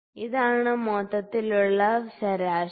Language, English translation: Malayalam, So, this is the overall mean